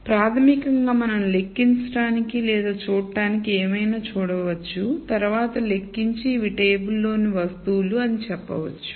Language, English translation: Telugu, So, basically we can kind of count or see whatever there is to see and then enumerate and then say these are the objects or articles in the table